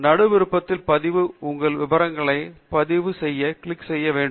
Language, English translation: Tamil, The middle one Register is what you must click to register your details